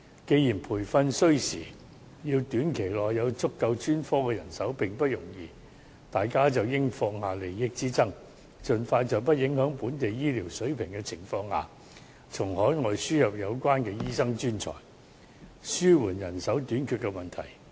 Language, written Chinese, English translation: Cantonese, 既然培訓需時，要在短期內有足夠的專科人手並不容易，大家便應該放下利益之爭，盡快在不影響本地醫療水平的前提下，從海外輸入有關醫生專才，以紓緩人手短缺的問題。, Since training takes time and it is very difficult to recruit adequate health care professionals every one of us should set aside our differences of our own interests and bring in overseas doctors and medical professionals as soon as practical in order to alleviate the manpower shortage problem on the premise of not affecting the level of our local health care quality